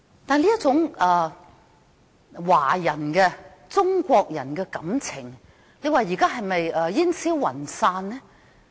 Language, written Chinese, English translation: Cantonese, 這一種中國人的感情現在是不是煙消雲散呢？, Has the sentiment of being Chinese vanished nowadays?